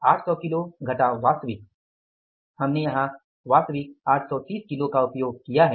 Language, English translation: Hindi, 800 kages minus actually we have used is 830 kages